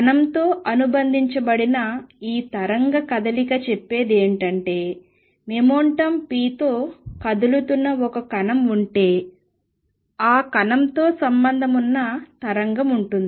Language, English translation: Telugu, What this wave business associated with particle says is that If there is a particle which is moving with momentum p, with the particle there is a wave associated